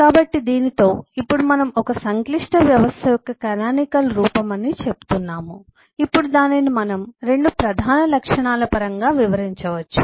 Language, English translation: Telugu, so with this now we say the canonical form of a complex system, we can now describe that in terms of 2 major properties